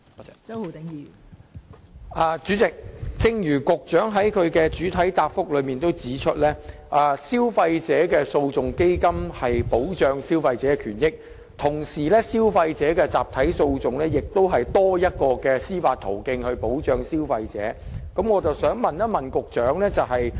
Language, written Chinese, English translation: Cantonese, 代理主席，正如局長在主體答覆中指出，基金的目的旨在保障消費者的權益，而消費者集體訴訟機制亦同時多提供一項保障消費者的司法途徑。, Deputy President as pointed out by the Secretary in the main reply the purpose of the Fund is to protect consumers rights while a class action mechanism provides an additional avenue for the protection of consumers